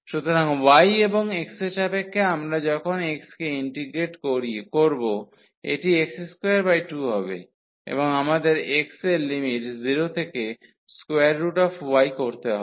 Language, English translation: Bengali, So, y and with respect to x when we integrate x this will be x square by 2, and we have to put the limits for x 0 to square root y